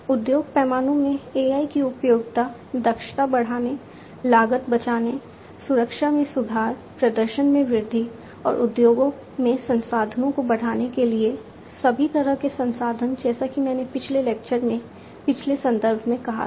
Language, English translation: Hindi, The usefulness of AI in the industry scale are to increase the efficiency, save costs, improve security, augment performance and boost up resources in the industries; resources of all kind as I said in a previous context in a previous lecture before